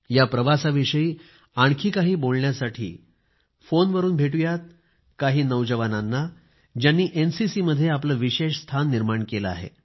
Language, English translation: Marathi, To discuss more about this journey, let's call up a few young people, who have made a name for themselves in the NCC